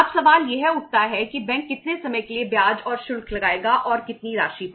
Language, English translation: Hindi, Now the question arises for how much period bank will charge the interest and for on on how much amount